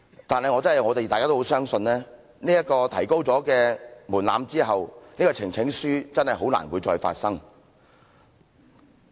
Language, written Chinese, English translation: Cantonese, 但是我們倒是很相信，提高了門檻之後，確真再難提交呈請書了。, But we rather believe that after the threshold is raised the presentation of petitions will honestly become more difficult